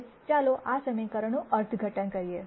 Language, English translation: Gujarati, Now let us interpret this equation